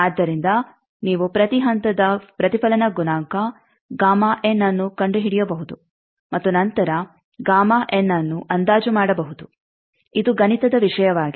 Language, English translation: Kannada, So, you can find out each stage reflection coefficient gamma n and then gamma n can be approximated this is a automatic scheme